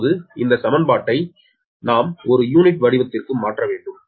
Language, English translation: Tamil, now, this equation we have to converted to per unit form, right